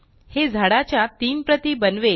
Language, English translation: Marathi, This will create three copies of the trees